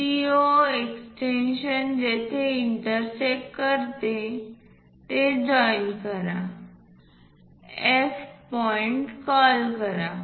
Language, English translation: Marathi, From CO extension is going to intersect there join that, call point F